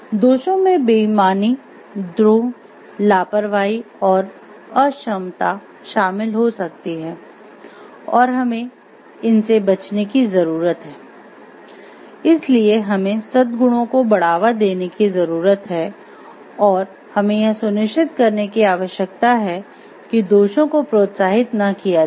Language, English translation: Hindi, Vices could include dishonesty, disloyalty, irresponsibility or incompetence and these needs to be avoided, so we need to promote the virtues and we need to like not to encourage the vices and if that is done